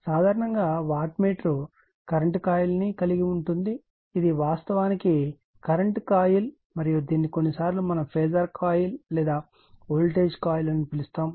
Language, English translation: Telugu, General in a wattmeter you have a current coil this is actually current coil right and this is i am sometimes we call phasor coil or voltage coil